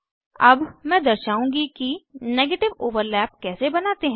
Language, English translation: Hindi, Now, I will demonstrate how to draw a negative overlap